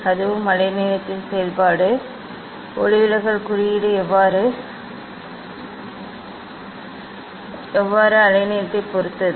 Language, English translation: Tamil, that also is a function of wavelength, how refractive index depends on the wavelength